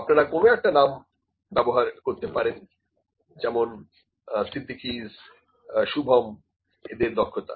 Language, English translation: Bengali, Some you can they used some name Siddiquis Shubhams we can use some name this persons skill